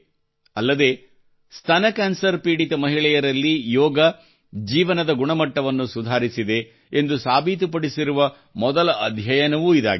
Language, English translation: Kannada, Also, this is the first study, in which yoga has been found to improve the quality of life in women affected by breast cancer